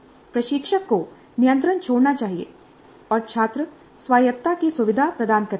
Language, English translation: Hindi, Instructor must relinquish control and facilitate student autonomy